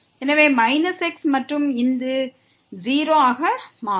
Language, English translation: Tamil, So, minus and this will become 0